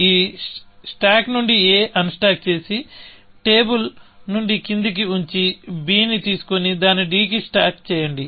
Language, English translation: Telugu, You will unstack a from a; unstack a from this stack, put it down from the table, pickup b and stack it on to d